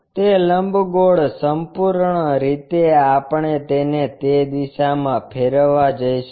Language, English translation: Gujarati, That ellipse entirely we are going to rotate it in that direction